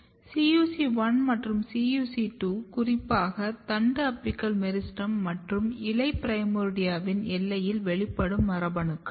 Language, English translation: Tamil, CUC2 is as I said that CUC1 and CUC2, they are the boundary genes they express very specifically, at the boundary of shoot apical meristem and leaf primordia